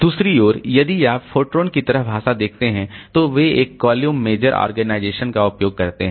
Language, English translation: Hindi, On the other hand, so if you look into the language like 4Tron, then they use a column major organization